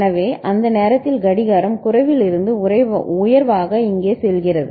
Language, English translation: Tamil, So, the clock is going high here from say low to high at that time